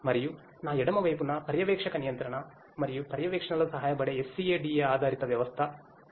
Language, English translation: Telugu, And on my left is the SCADA based system that can help in the supervisory control and monitoring